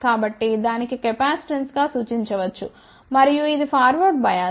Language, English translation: Telugu, So, that can be represented as capacitan[ce] and this is forward bias